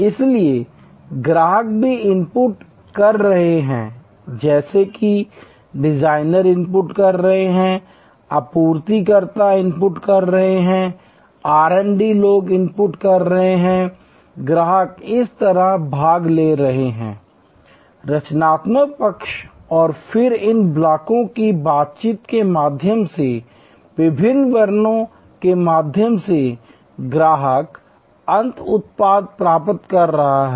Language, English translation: Hindi, So, customer is also inputting just as designers are inputting, suppliers are inputting, R& D people are inputting, customers are participating on this side, the creative side and then, through this various steps through the interaction of these blocks, customer is receiving the end product